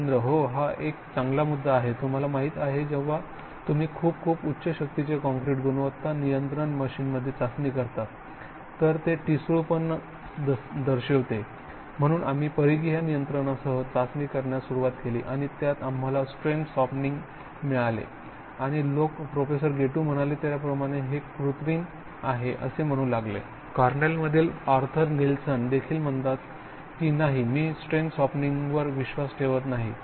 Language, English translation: Marathi, Yes that is a good point, we had you know with very very high strength concrete, if you test in a quality control machine, you have brittle, so people say, so then we develop to test with the circumferential control and you get strain softening and people say well as Professor Gettu that is artificial, I mean that is not really in fact the Arthur Nielsen from Cornell, they say no he does not believe in strain softening, so that is a fun